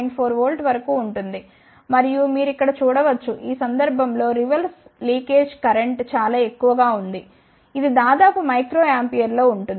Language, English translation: Telugu, And, you can see here the reverse leakage current in this case is very high, it is of the order of micro ampere